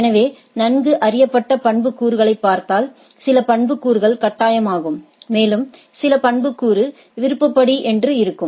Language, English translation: Tamil, So, if we look at the well known attributes, some of the attributes are mandatory and some of the attribute are disc discretionary